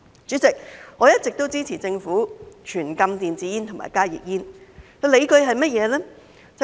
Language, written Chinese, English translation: Cantonese, 主席，我一直都支持政府全禁電子煙及加熱煙，理據是甚麼呢？, President I have always supported the Government in imposing a total ban on e - cigarettes and HTPs . What are my justifications?